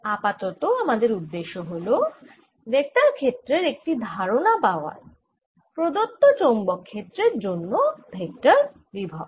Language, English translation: Bengali, the idea right now is to get a feel for the vector, feel vector potential for a given magnetic field